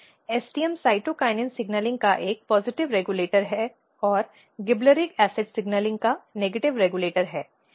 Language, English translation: Hindi, So, STM is important, STM is a positive regulator of cytokinin signaling and negative regulator of gibberellic acid signaling